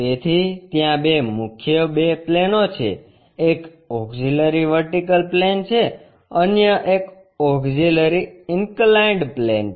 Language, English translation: Gujarati, So, there are two mainly two planes; one is auxiliary vertical plane other one is auxiliary inclined plane